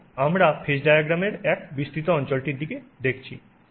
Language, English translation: Bengali, And we are looking at a magnified region of the phase diagram